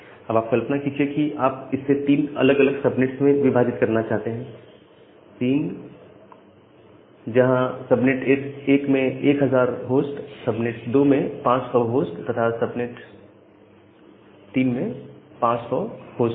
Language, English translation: Hindi, Now, assume that you want to divide it into three different subnets with subnet 1 having 1000 hosts, subnet 2 having say 500 hosts, and subnet 3 having another 500 hosts